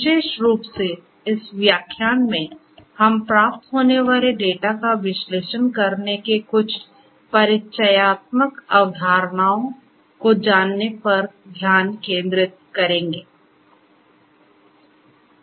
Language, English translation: Hindi, Particularly, in this particular lecture we are going to focus on knowing some of the introductory concepts of how to analyze the data that is received